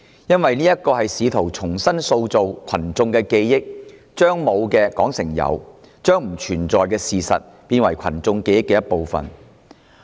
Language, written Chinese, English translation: Cantonese, 因為議案試圖重塑群眾記憶，將沒有的說成是有，將不存在的事實變成群眾記憶的一部分。, It is because his motion attempts to reshape peoples memory by mentioning something that did not happen as real and inculcating non - existent events into peoples memory